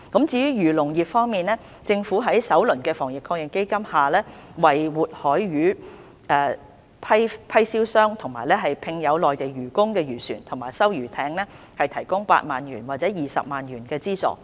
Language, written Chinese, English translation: Cantonese, 至於漁農業方面，政府在首輪的防疫抗疫基金下為活海魚批銷商及聘有內地漁工的漁船和收魚艇提供8萬元或20萬元的資助。, As for the agriculture and fisheries industries the Government has provided a subsidy of 80,000 or 200,000 to live marine fish wholesale traders and owners of fishing vessels and fish collector vessels with Mainland deckhands under the first round of the Fund